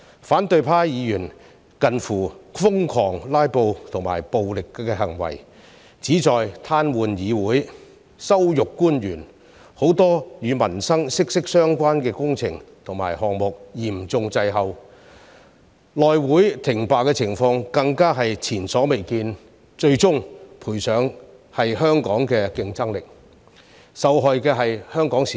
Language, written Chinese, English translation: Cantonese, 反對派議員近乎瘋狂的"拉布"和暴力行為，旨在癱瘓議會、羞辱官員，令很多與民生息息相關的工程項目嚴重滯後，內務委員會停擺的情況更加是前所未見，最終賠上的是香港的競爭力，受害的是香港市民。, The nearly hysterical filibustering and violent behaviour of the opposition Members aimed to paralyse the Council and humiliate the officials and as a consequence there were serious delays in many projects closely related to peoples livelihood . The standstill of the House Committee was also unprecedented . In the end it was the competitiveness of Hong Kong that suffered and the people of Hong Kong were harmed